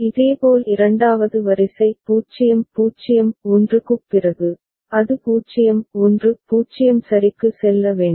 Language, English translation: Tamil, Similarly the second row: after 0 0 1, it has to go to 0 1 0 ok